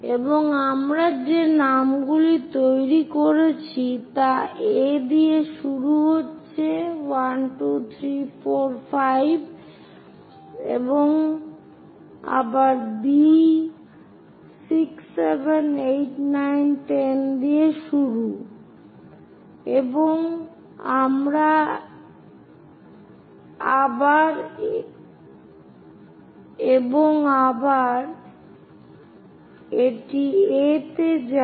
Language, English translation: Bengali, And the names what we are making is beginning with A all the way to 1, 2, 3, 4, 5, and again B starting with 6, 7, 8 and 9 and 10, and again it goes to A